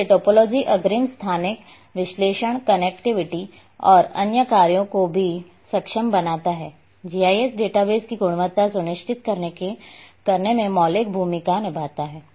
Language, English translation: Hindi, So, topology also enables advance spatial analysis connectivity and other functions, plays the fundamental role in ensuring the quality of GIS database